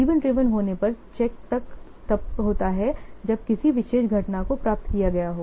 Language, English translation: Hindi, In event driven, the check driven takes place when a particular event has been achieved